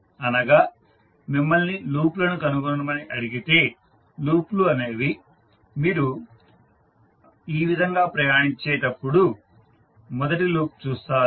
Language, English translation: Telugu, So that means if you are asked to find out the loops, loops will be, first loop you will see as you travel in this fashion